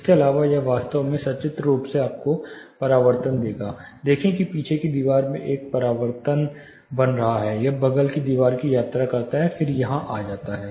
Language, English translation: Hindi, further on It will actually pictorially give you; see there is a reflection happening in the rear wall, it travels to the side wall then it comes here